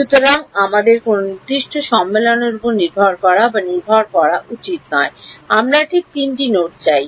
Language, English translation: Bengali, So, we should not count or dependent on any particular convention, we just want the three nodes right